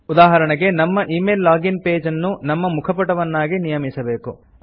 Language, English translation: Kannada, Say for example, we want to set our email login page as our home page